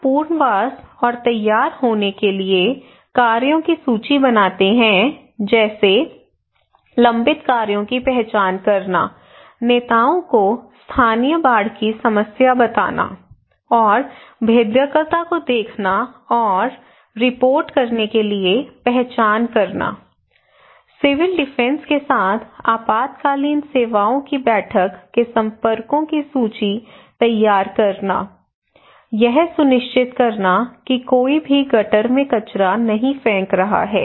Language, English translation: Hindi, Also we list of actions for rehabilitation and preparedness like to identifying the pending works BMC identifying the local leaders to look and report local flood problem and vulnerability, preparing list of contacts of emergency services meeting with civil defence, ensuring that nobody is throwing waste in gutters